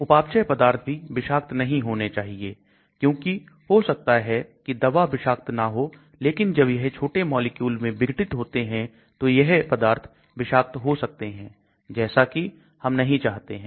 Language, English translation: Hindi, Metabolites also should not be toxic, because the drug might not be toxic, but it degrades into smaller molecules which may be toxic so we do not want